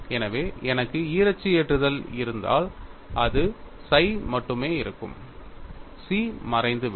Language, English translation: Tamil, So, if I have bi axial loading what happens only psi exists, chi vanishes